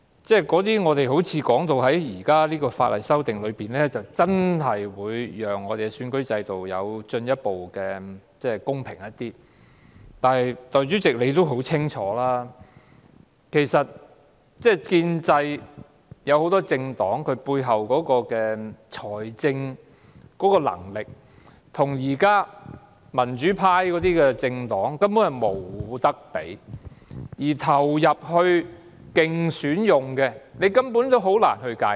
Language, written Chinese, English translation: Cantonese, 大家說到現在的法例修訂好像真的會讓我們的選舉制度更公平，但代理主席，你也很清楚知道建制派很多政黨背後的財力，現在的民主派政黨根本無法與之相比，而投入競選的開支亦根本難以界定。, We sound as if the current legislative amendments can really make our electoral system fairer . However Deputy President you are well aware of the financial backing for a number of political parties in the pro - establishment camp . The existing political parties in the pro - democracy camp simply have no way to rival them and the expenses spent on election are actually difficult to define